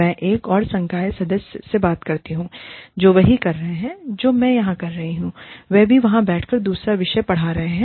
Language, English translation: Hindi, I speak to another faculty member, who is doing the same thing, that I am doing here, who is sitting and teaching, another course, there